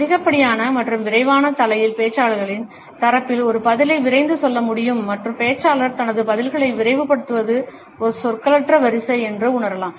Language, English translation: Tamil, In excessive and rapid head nod can rush a response on the part of the speaker and the speaker may feel that it is a nonverbal queue to hurry up his or her responses